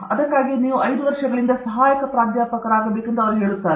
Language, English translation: Kannada, That’s why they say to become Associate Professor you have to Assistant Professor for 5 years